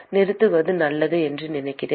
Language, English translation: Tamil, I think it is a good point to stop